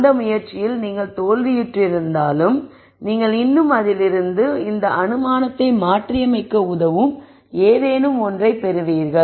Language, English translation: Tamil, Even though you failed in that attempt you still got something out of it which would help you in modifying the assumption